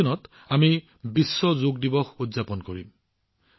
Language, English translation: Assamese, We will also celebrate 'World Yoga Day' on 21st June